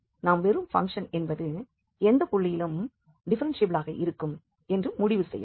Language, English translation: Tamil, So, here the conclusion is that this function is nowhere differentiable, the function is not differentiable at any point